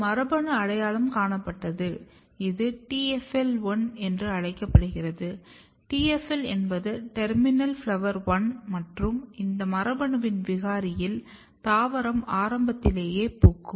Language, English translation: Tamil, There was a gene identified which is called TFL1, TFL is basically TERMINAL FLOWER ONE and when a mutation or when a mutant was identified in this gene there was few phenotypes one phenotype is that the plant flowered early